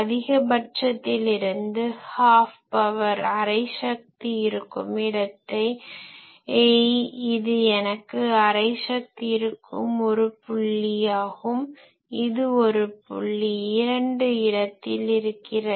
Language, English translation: Tamil, Now I locate usually we locate that power wise where from maximum I have half power, so this is one point where I have half power this is one point two where we have half power